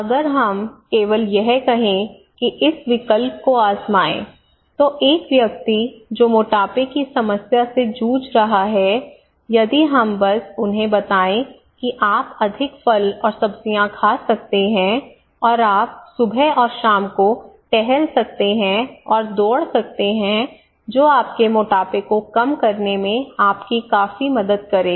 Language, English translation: Hindi, So if we simply say like this one that try this option, a person who is having obesity issue if we simply tell them okay you can eat more fruits and vegetables and you can walk and run on the morning and evening that would significantly help you to reduce your fat your obesity issue